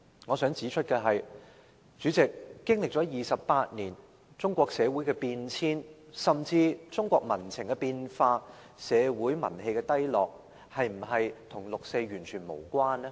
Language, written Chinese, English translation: Cantonese, 我想指出的是，主席，經歷了28年，中國社會的變遷，甚至中國民情的變化和社會民氣的低落，是否跟六四完全無關呢？, I wish to point out that President after these 28 years is it true that the changes in society of China or even the change in public sentiments and the low national morale in China are entirely irrelevant to the 4 June incident?